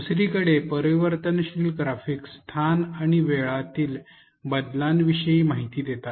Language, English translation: Marathi, Transformational graphics on the other hand convey information about changes during space and time